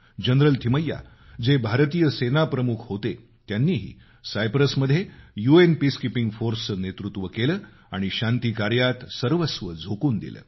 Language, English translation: Marathi, General Thimaiyya, who had been India's army chief, lead the UN Peacekeeping force in Cyprus and sacrificed everything for those peace efforts